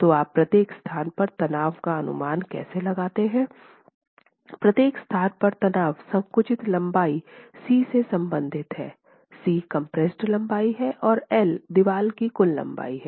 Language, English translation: Hindi, The strain at each location is the compressed length C, C is the compressed length, L is the total length of the wall, and D